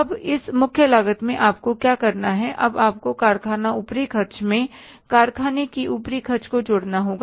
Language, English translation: Hindi, Now in this prime cost, what you have to do is you have to add now the factory overheads